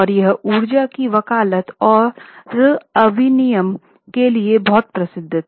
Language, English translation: Hindi, And it was very famous for advocacy of energy deregulation